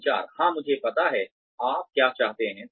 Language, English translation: Hindi, Communication, yes I know, what you want